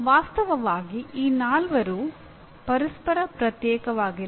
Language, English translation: Kannada, Actually all these four are not mutually exclusive